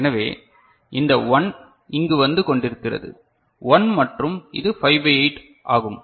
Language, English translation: Tamil, So, this 1 is coming over here so, 1 and this is 5 by 8